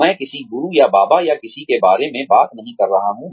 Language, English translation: Hindi, I am not talking about, a guru, or a baba, or anyone